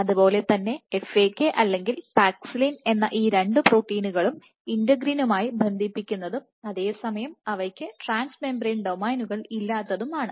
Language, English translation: Malayalam, Similarly FAK or paxillin both these proteins are known to bind to integrin, and at the same time they do not have trans membrane domains